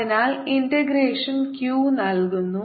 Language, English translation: Malayalam, so the integration gifts q